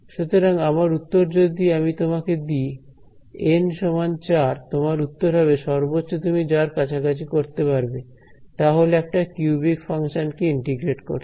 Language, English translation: Bengali, So, my answer if I give you N equal to 4, your answer is at best you can approximate a cubic function are integrated